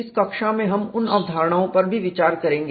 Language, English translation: Hindi, Those concepts also we look at in this class